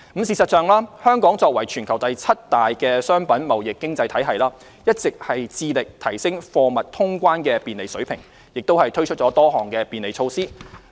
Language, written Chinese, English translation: Cantonese, 事實上，香港作為全球第七大的商品貿易經濟體系，一直致力提升貨物通關的便利水平，也推出多項便利措施。, In fact as the worlds seventh largest merchandise trade economy Hong Kong has been striving to improve the convenience of cargo clearance and has introduced a number of facilitating measures